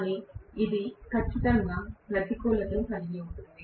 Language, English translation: Telugu, But this definitely has the disadvantage as well